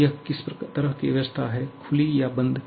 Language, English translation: Hindi, Now, what kind of system is this one, open or closed